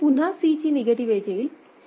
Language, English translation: Marathi, Again the negative edge of C will come here